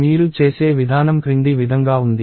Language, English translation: Telugu, So, the way you do that is as follows